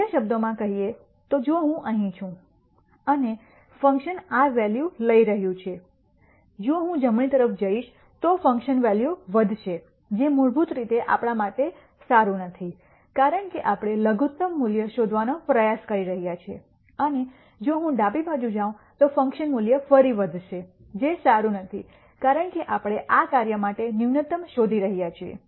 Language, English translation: Gujarati, In other words if I am here and the function is taking this value if I move to the right the function value will increase which basically is not good for us because we are trying to nd minimum value, and if I move to my left the function value will again increase which is not good because we are nding the minimum for this function